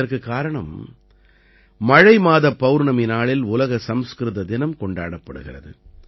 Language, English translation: Tamil, The reason for this is that the Poornima of the month of Sawan, World Sanskrit Day is celebrated